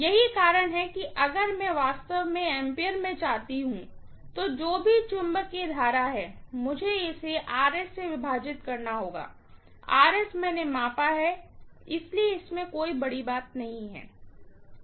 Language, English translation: Hindi, That is the reason why if I want really in amperes, whatever is the magnetising current, I have to divide it by Rs, Rs I have measured, so it is not a big deal